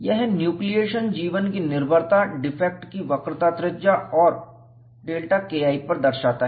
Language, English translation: Hindi, It shows the dependence of nucleation life on radius of curvature of the defect and delta K 1